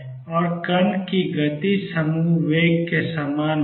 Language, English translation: Hindi, And the speed of particle is same as group velocity